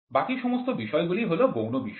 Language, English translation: Bengali, Rest all points are secondary points